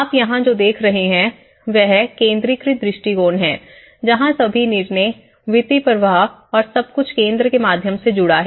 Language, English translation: Hindi, What you are seeing here, is the centralized approach, where all the decisions all the financial flows and everything is connected through the centre means